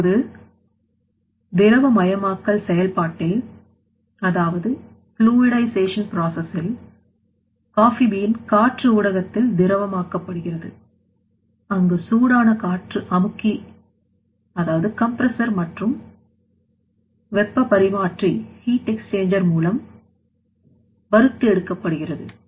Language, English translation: Tamil, Now, in that fluidization that coffee bean fluidized in the air medium, hot air medium, now hot air is to be supplied through compressor and through the heat extender and after that coffee bean will be roasted